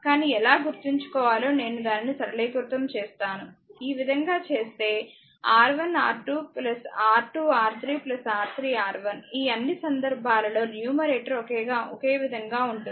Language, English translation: Telugu, But how to remember I will simplify it; this way if you just make it like this, the R 1 R 2 plus R 2 R 3 plus R 3 R 1; all the case numerator in this case is same